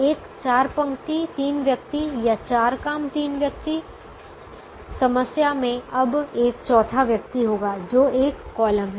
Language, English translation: Hindi, a four row, three person or four job, three person problem will now have a fourth person, which is a column